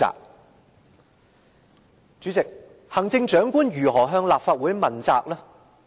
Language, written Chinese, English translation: Cantonese, 代理主席，行政長官如何向立法會問責？, Deputy President how can the Chief Executive be accountable to the Legislative Council?